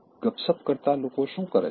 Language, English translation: Gujarati, What do people who gossip do